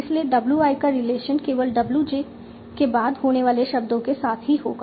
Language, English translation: Hindi, So the only relation WI might have is with any words after WJ